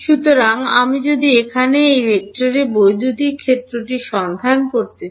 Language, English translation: Bengali, So, if I want to find the electric field at this vector over here